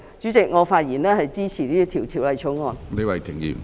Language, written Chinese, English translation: Cantonese, 主席，我發言支持《條例草案》。, President I speak in support of the Bill